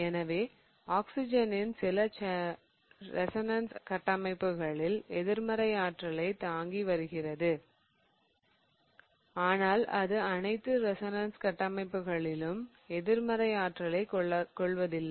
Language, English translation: Tamil, So, oxygen is bearing negative charge in some of the resonance structures but it doesn't bear a negative charge in all of the resonance structures